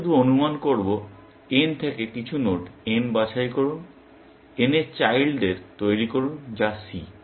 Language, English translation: Bengali, We will just assume; pick some nodes n from N; generate children C of n